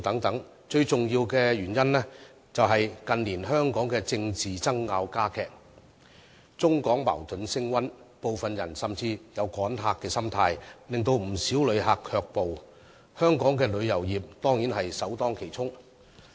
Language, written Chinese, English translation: Cantonese, 不過，最重要的原因是，近年香港的政治爭拗加劇，中港矛盾升溫，部分人甚至有"趕客"的心態，令不少旅客卻步，香港的旅遊業自然首當其衝。, And yet the most important reason is the intensifying political conflicts in Hong Kong in recent years and the escalating tension between the Mainland and Hong Kong . Some people even have the mentality of driving Mainland visitors away which has discouraged many tourists from coming to Hong Kong . The local tourism industry has taken the brunt